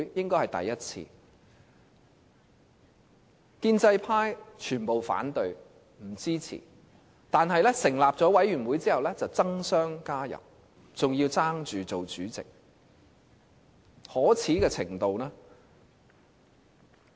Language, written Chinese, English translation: Cantonese, 建制派全部反對，不予支持，但成立委員會後卻爭相加入，還要爭着當主席，可耻的程度......, All pro - establishment Members raised objection refusing to render their support . But after the setting up of the Select Committee they strove to participate in it one after another and even competed for its chairmanship